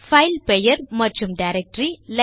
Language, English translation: Tamil, Our file name and directory on line 3